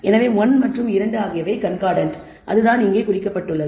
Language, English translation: Tamil, So, 1 and 2 are concordant that is what is indicated here